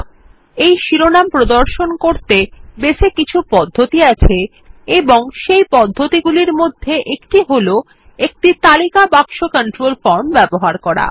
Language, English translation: Bengali, And so, to display these titles, Base provides some ways, and one of the ways is by using a List box form control